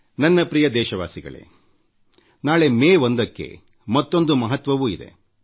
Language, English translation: Kannada, My dear countrymen, tomorrow, that is the 1st of May, carries one more significance